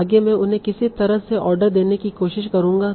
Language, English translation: Hindi, Next would be I will try to order them somehow